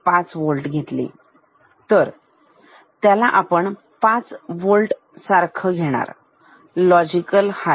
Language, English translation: Marathi, 5 Volt that will be treated same as 5 Volt, logic high